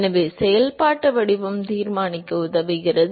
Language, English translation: Tamil, So, the functional form helps in deciding